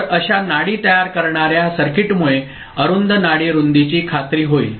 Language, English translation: Marathi, So, a pulse forming circuit like this ensure a small a narrow pulse width ok